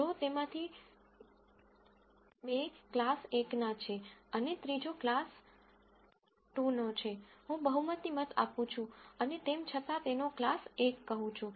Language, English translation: Gujarati, If two of them belong to class 1 and the third one belongs to class 2, I do a majority vote and still say its class 1